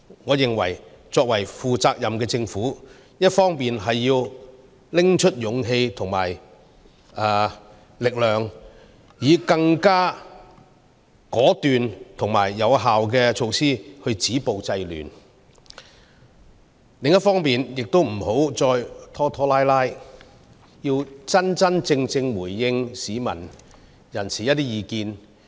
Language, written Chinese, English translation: Cantonese, 我認為，作為負責任的政府，一方面要拿出勇氣和力量，以更果斷和有效的措施來止暴制亂，另一方面亦不要再拖拖拉拉，真真正正回應市民的意見。, In my opinion the Government being a responsible establishment must muster the courage and strength to stop violence and curb disorder with more decisive and effective measures and also stop dragging its feet and respond squarely to the views of the people